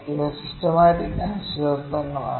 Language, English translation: Malayalam, So, these are systematic uncertainties